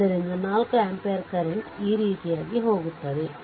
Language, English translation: Kannada, So, this 4 ampere current is going like these